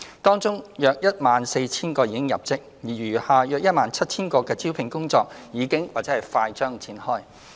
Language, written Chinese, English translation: Cantonese, 當中約 14,000 個已入職，而餘下約 17,000 個的招聘工作已經或快將展開。, Among these jobs around 14 000 have been filled while the recruitment of the remaining 17 000 has already commenced or will commence shortly